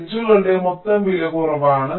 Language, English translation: Malayalam, the total cost of the edges is less